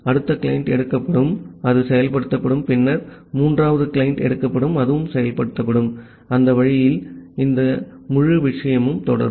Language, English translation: Tamil, Then the next client will be taken, that will get executed, then the third client will be taken, that will get executed and that way this entire thing will go on